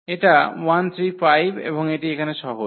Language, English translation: Bengali, So, this 1 3 5 and this is simple here